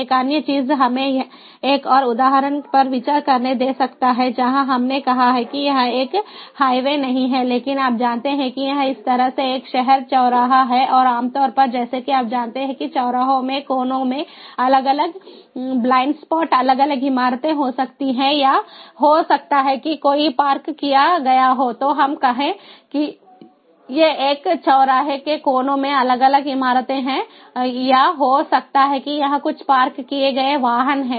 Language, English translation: Hindi, let us consider another example where we have, let us say, it is not a highway, but, ah, you know, it is a city intersection like this, and typically, as you know, that in the intersections you have different, ah, blind spots, maybe due to different buildings in the corners, or maybe there is a parked